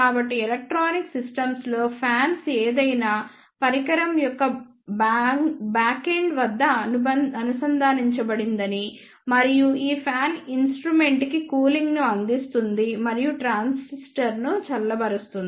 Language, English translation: Telugu, So, you might have seen in electronic systems that the fan is associated at the backend of any instrument and this fan provides the cooling to the instrument and that cools the transistor